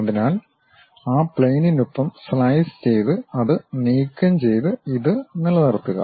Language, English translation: Malayalam, So, slice along that plane remove that, slice along that plane remove that and retain this one